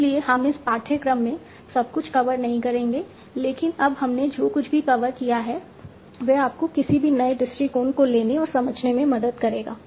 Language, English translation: Hindi, So we will not be covering everything in this course but whatever we have covered will help you to take any new approach and understand that